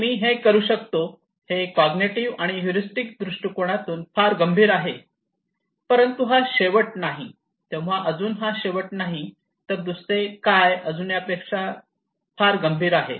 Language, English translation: Marathi, And I can do it, is very critical according to cognitive and heuristic approach but this is not the end, this is not the end yet what else, what else is very critical